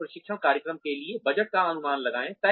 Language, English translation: Hindi, And, estimate a budget for the training program